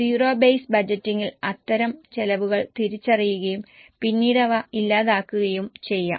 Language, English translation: Malayalam, In zero based budgeting, such expenses are identified and then they can be eliminated